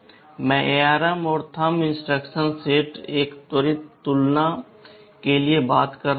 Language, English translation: Hindi, I am talking about the ARM and Thumb instruction set, a quick comparison